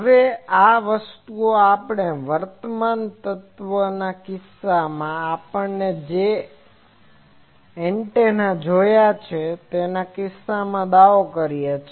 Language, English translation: Gujarati, Now, this thing we claimed in case of current element in case of whatever antennas we have seen